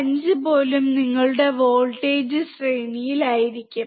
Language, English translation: Malayalam, 5 will be your voltage range